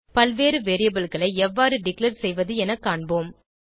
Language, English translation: Tamil, let us learn how to declare multiple variables